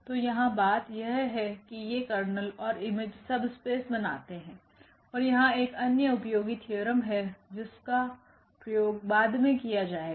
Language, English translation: Hindi, So, here the point is that these kernel and the image they form subspace and there is another nice theorem which will be used later